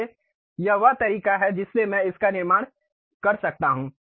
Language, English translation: Hindi, So, that is the way I can really construct it